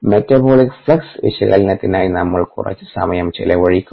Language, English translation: Malayalam, ok, we will spends some time on this metabolic flux analysis